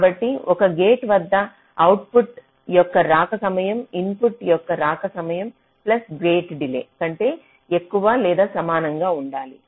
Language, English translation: Telugu, so so for a gate, the arrival time of the output should be greater than equal to arrival time of the input plus the delay of the gate